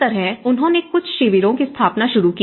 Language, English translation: Hindi, So, this is how they started setting up some camps